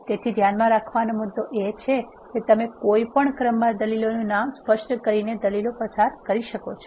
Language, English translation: Gujarati, So, point to keep in mind is you can pass the arguments in any order by specifying its name